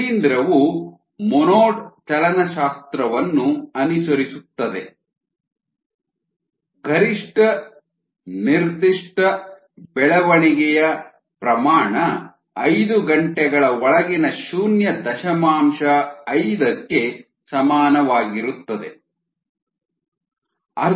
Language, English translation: Kannada, the fungus follows monod kinetics with the maximum specific growth rate be equal to point five hour inwards